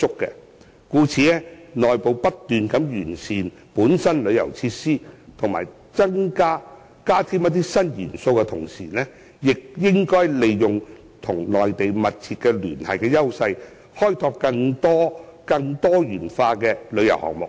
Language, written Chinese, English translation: Cantonese, 故此，在內部不斷完善旅遊措施及加添新元素之餘，當局亦應該利用與內地密切聯繫的優勢，開拓更多元化的旅遊項目。, Therefore apart from constantly improving tourism measures and adding new elements internally the authorities should take advantage of the close tie with the Mainland to develop more diversified tourism projects